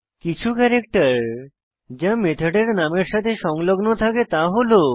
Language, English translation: Bengali, Some of the characters that can be appended to a method name are: